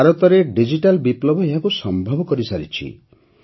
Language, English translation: Odia, The success of the digital revolution in India has made this absolutely possible